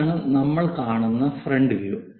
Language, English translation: Malayalam, This is what we call front view